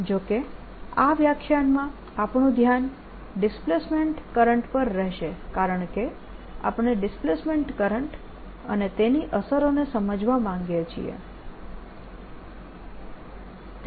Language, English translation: Gujarati, in this lecture, however, our focus is going to be the displacement current, because we want to understand this and understand displacement current and its effects